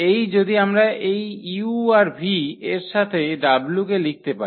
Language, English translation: Bengali, That if this w we can write down in terms of this u and v if